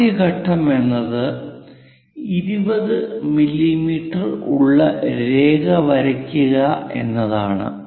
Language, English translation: Malayalam, Further the first point is draw a 20 mm side